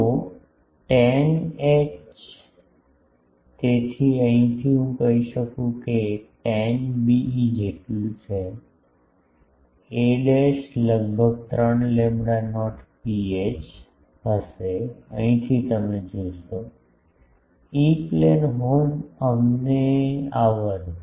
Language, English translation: Gujarati, So, tan h in so, from here I can say that tan be so, a dash will be approximately 3 lambda not rho h from here you see, E plane horn let us come